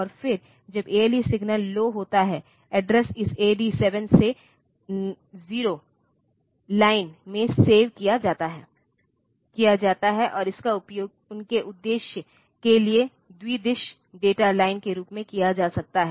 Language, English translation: Hindi, And then the when the ALE signal goes low the address is saved in this AD 7 to 0 line, and that can be used for are their purpose as bidirectional data line